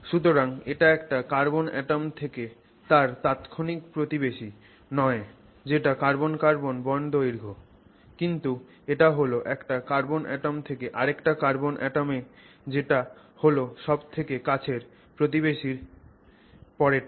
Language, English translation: Bengali, So, you can see that it is not from the carbon atom to its immediate neighbor which is the carbon carbon bond length but then it is from the carbon, one carbon atom to the one that is next to its nearest neighbor